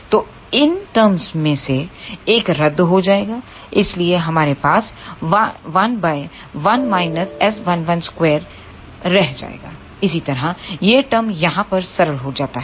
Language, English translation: Hindi, So, one of these terms will get cancelled so, we are left with 1 over 1 minus S 1 1 square similarly, this term simplifies over here